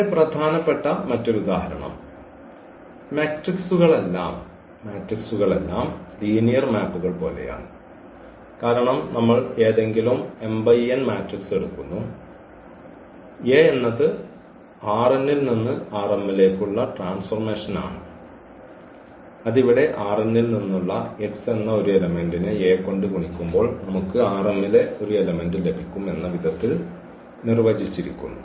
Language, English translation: Malayalam, So, another very important example we will see that these matrices are also like linear maps because of the reason we take any m cross n matrix and A is the transformation from this R n to X m by this rule here that if we multiply A to this x; x is an element from this R n then we will get element a in R m